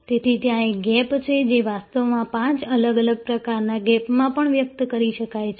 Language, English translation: Gujarati, So, there is a gap actually can also be expressed in five different types of gaps